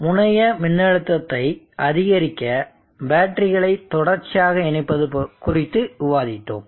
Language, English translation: Tamil, We discussed connecting batteries and series to enhance terminal voltage